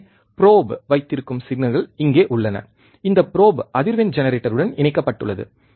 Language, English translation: Tamil, So, the the signals are here which is holding the probe, this probe is connected with the frequency generator